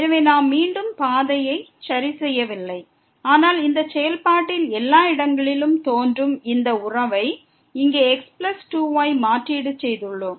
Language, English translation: Tamil, So, we are not fixing again the path, but we have substituted this relation here plus 2 which appear everywhere in this function